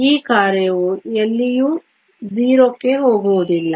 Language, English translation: Kannada, This one the function does not go to 0 anywhere